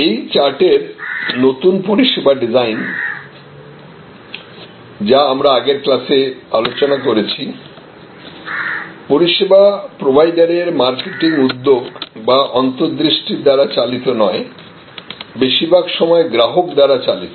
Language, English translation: Bengali, So, new service design in this chart as we discussed in the previous class were based on not so much on marketing initiatives or marketing insights of the service provider, but very often driven by the customer